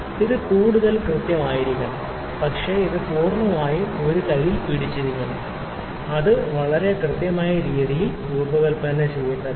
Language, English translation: Malayalam, So, it has to be more accurate, but it has just to be whole held in a hand we need not to design it in a very precise accurate way